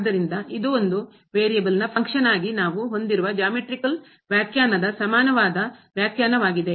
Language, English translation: Kannada, So, this is the same definition same geometrical interpretation as we have for the function of one variable